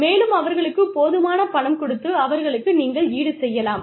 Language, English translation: Tamil, And, give them enough money and compensate them, enough